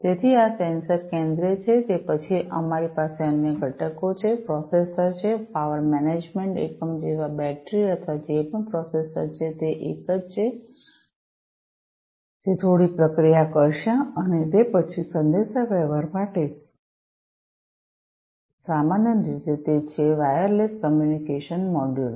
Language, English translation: Gujarati, So, these sensors are the central ones, then, we have the other components, the processor, the power management unit like battery or whatever processor is the one, who will do a little bit of processing and then for communication, typically, it is the wireless communication module